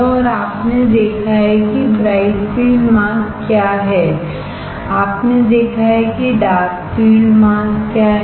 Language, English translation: Hindi, And you have seen what is bright field mask you have seen what is dark field mask, correct